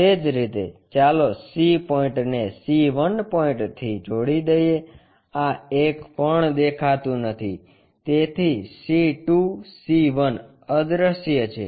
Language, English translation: Gujarati, Similarly, let us connect C point to C 1 point, this one is also invisible so, C 2, C 1 invisible